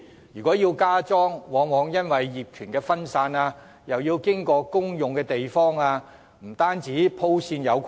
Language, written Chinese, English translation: Cantonese, 如要加裝，往往面對業權分散及需要經過公用地方等問題，以致很難鋪設電線。, Plans to install additional charging facilities are often faced with the problems of fragmented ownership and occupation of public places thus making it very difficult to lay electrical wirings as required